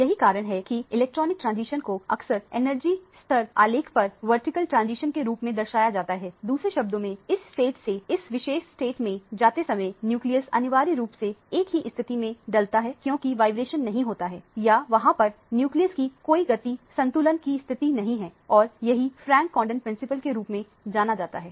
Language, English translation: Hindi, That is why electronic transitions are often represented as vertical transitions on the energy level diagram, in other words while going from this state to this particular state, the nucleus essentially states put in the same position there is no vibration that is taking place or there is no motion of the nucleus that is taking place from it is equilibrium position and this is what is known as the Frank Condon Principle